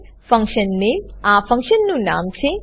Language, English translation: Gujarati, function name is the name of the function